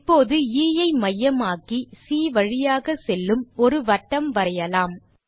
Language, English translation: Tamil, Lets now construct a circle with centre as D and which passes through E